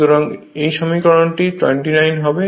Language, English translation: Bengali, So, this is equation 24